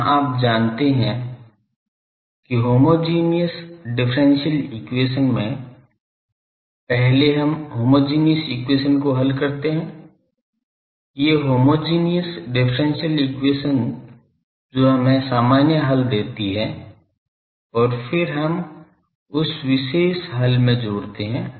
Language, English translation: Hindi, Here you know that solution of any in homogeneous differential equation first we solve the homogeneous equation these homogeneous differential equation that give us the general solution and then we add to that the particular solutions